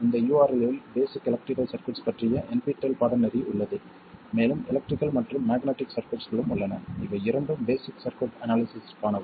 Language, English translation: Tamil, There is the NPTEL course on basic electrical circuits that's available at this URL and there is also the electrical and magnetic circuits